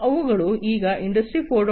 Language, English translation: Kannada, So, Industry 4